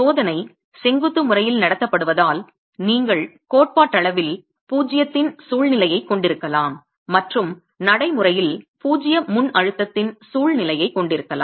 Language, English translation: Tamil, Since the test is being conducted in a vertical manner, you can theoretically have a situation of zero and practically have a situation of zero pre compression